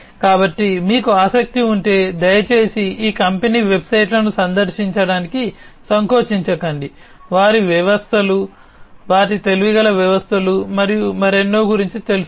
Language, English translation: Telugu, So, if you are interested please feel free to visit these company websites to, to know more about their systems, their smarter systems, and so on